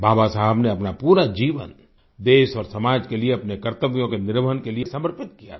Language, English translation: Hindi, Baba Saheb had devoted his entire life in rendering his duties for the country and society